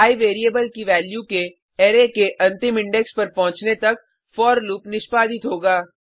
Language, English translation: Hindi, The for loop will execute till the value of i variable reaches the last index of an array